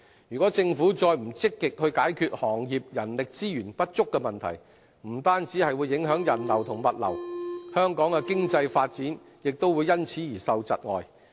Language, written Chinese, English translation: Cantonese, 如果政府不積極解決行業人力資源不足的問題，不單會影響人流和物流，香港的經濟發展也會因此而窒礙。, If the Government does not actively address the problem of insufficient manpower in these trades and industries not only will the flow of people and goods be affected the economic development of Hong Kong will also be stifled